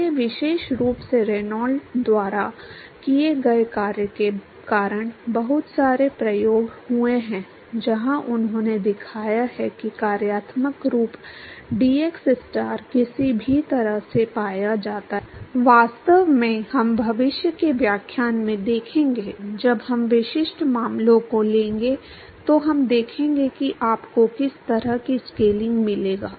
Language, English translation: Hindi, So, there have been lots of experiments particularly primarily due to work done by Reynolds; where he has shown that the functional form dxstar somehow it is found to be, in fact, we will see in the future lectures when we take specific cases we will see the kind of scaling that you will get